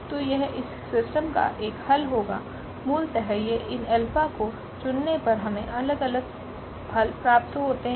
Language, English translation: Hindi, So, that will be one solution of this system by choosing this alphas basically we are looking for different different solutions